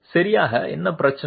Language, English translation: Tamil, What exactly is the problem